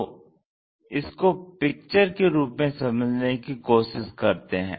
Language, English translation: Hindi, So, let us look at that pictorially